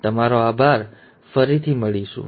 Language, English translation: Gujarati, Thank you and see you later